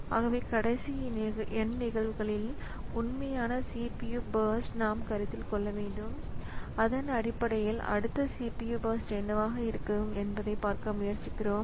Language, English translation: Tamil, So, we are considering the actual CPU bursts over last n cases okay and based on that we are trying to see like what is going to be the next CPU burst